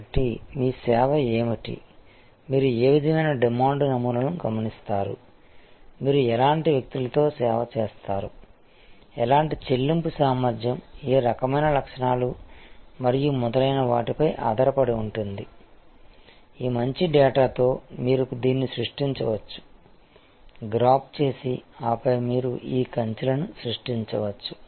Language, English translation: Telugu, So, all will depend on what is your service what kind of demand patterns you observe, what kind of people you serve with, what kind of paying capacity, what kind characteristics and so on, with all these good data you can, then create this graph and then you can create this fences